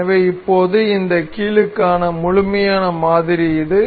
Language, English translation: Tamil, So, now, this is the complete model for this hinge